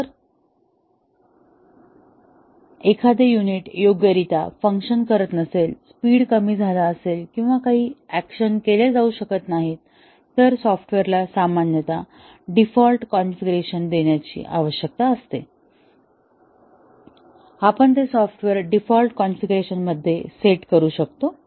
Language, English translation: Marathi, If something does not work properly, the speed degrades or certain actions cannot be carried out, then the software typically need to provide default configurations, where somebody can put the software into default configuration